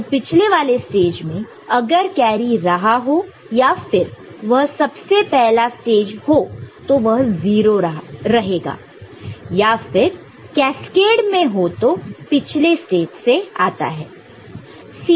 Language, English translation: Hindi, So, from the previous stage if it there or if it is the very first stage it will be 0, otherwise if it is in cascade so something will come from the previous stage, right